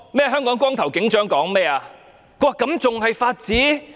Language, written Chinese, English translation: Cantonese, "香港光頭警長"對此有何看法呢？, How did the Bald Sergeant from Hong Kong look at this?